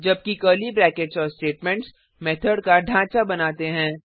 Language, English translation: Hindi, While the curly brackets and the statements forms the body of the method